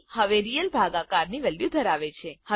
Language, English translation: Gujarati, c now holds the value of real division